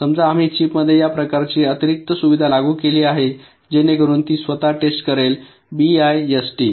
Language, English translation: Marathi, ok, so suppose we have implemented this kind of extra facility inside the chips so that it can test itself, bist